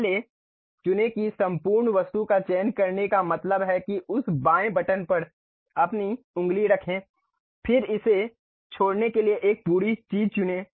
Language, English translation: Hindi, First select that entire object select means keep your finger on that left button hold it, then select entire thing leave it